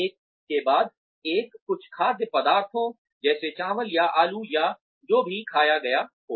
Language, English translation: Hindi, After, one has consumed, certain food items like, rice or potatoes or whatever